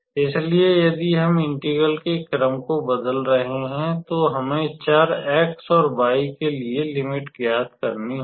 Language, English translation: Hindi, So, if we are changing the order of integration then, we have to find the range for the variable x and y